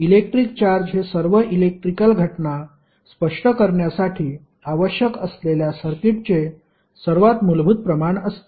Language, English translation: Marathi, So, electric charge is most basic quantity of circuit required to explain all electrical phenomena